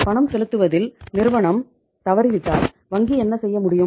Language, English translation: Tamil, If the firm defaults in making the payment what the bank can do